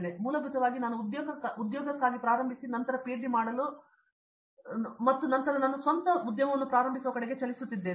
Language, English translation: Kannada, So, the basically I started for a job and then to do a PhD and then it’s moving towards starting my own